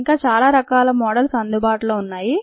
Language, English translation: Telugu, and many other models are available